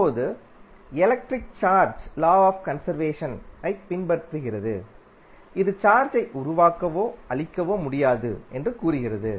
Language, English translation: Tamil, Now, the electric charge follows the law of conservation, which states that charge can neither be created nor can be destroyed